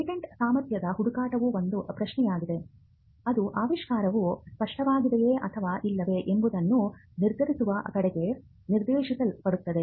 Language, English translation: Kannada, Contrary to popular belief, a patentability search is an effort, that is directed towards determining whether an invention is obvious or not